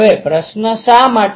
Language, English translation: Gujarati, Now question is why